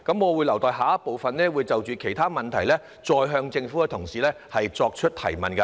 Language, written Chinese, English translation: Cantonese, 我會留待下一部分，就其他問題再向政府同事提問。, I will wait for the next round and make further enquiries to colleagues of the Government in respect of other issues